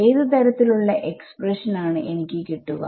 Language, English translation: Malayalam, what kind of expression will I have